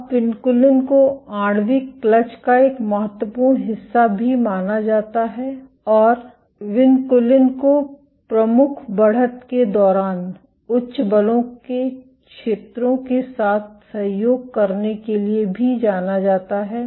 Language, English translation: Hindi, Now, vinculin is also assumed to be an important part of the molecular clutch and vinculin is known to colocalize with areas of high forces during leading edge protrusion